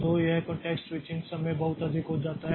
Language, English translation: Hindi, So, this context switching time becomes very high